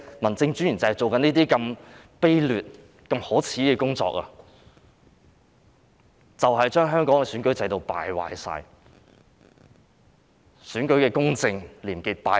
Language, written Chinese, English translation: Cantonese, 民政專員正在做這些卑劣、可耻的工作，令香港的選舉制度敗壞、令選舉的公正和廉潔敗壞。, These DOs are doing such despicable and shameful work which will erode the election system of Hong Kong and the fairness and probity of election